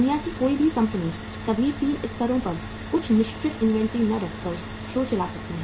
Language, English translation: Hindi, No company in the world can run the show by not keeping certain level of inventory at all the 3 levels